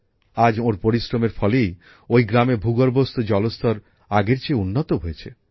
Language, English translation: Bengali, Today, the result of his hard work is that the ground water level in his village is improving